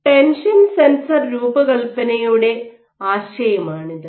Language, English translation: Malayalam, What is the tension sensor design